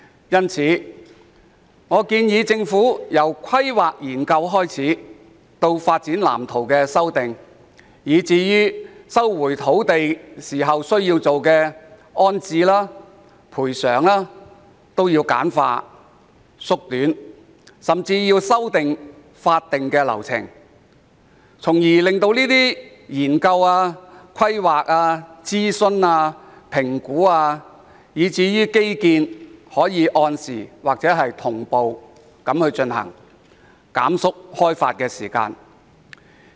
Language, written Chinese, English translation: Cantonese, 因此，我建議政府簡化土地規劃及研究，以至修訂發展藍圖的各項流程，並改良徵收土地的安置及賠償政策，甚至修訂法定流程，從而令有關研究、規劃、諮詢、評估以至基建可按時或同步進行，縮短開發時間。, Therefore I suggest that the Government should streamline various procedures ranging from land planning and land use study to the adjustment of layout plans; improve the rehousing and compensation policies for land resumption and even revise the statutory procedures so that the relevant study planning consultation assessment and infrastructure development can be conducted on schedule or concurrently thereby shortening the time for land development